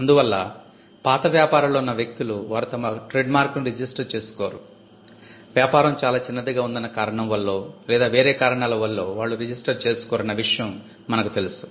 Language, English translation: Telugu, So, we know some cases where people involved in old businesses, they do not register their mark for, whatever reason either the business was too small then or whatever